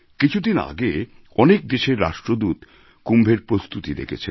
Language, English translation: Bengali, A few days ago the Ambassadors of many countries witnessed for themselves the preparations for Kumbh